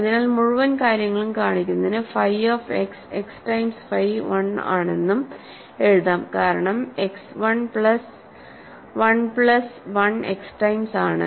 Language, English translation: Malayalam, So, the whole point is show that phi of x is x times phi 1 and that is because, x can be written as 1 plus 1 plus 1 x times